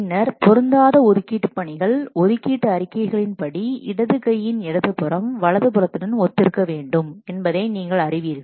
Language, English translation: Tamil, Then incompatible assignments, you know that in assignment statements, left hand side of the left hand side must correspond to the right hand side